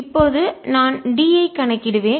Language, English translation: Tamil, now i will calculate d